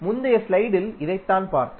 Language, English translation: Tamil, This is what we saw in the previous slide